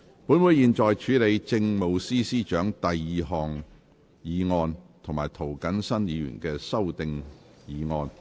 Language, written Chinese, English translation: Cantonese, 本會現在處理政務司司長的第二項議案及涂謹申議員的修訂議案。, This Council now deals with the Chief Secretary for Administrations second motion and Mr James TOs amending motion